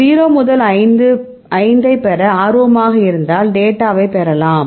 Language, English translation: Tamil, If you are interested to get 0 to 5 can we get the get it that you get the data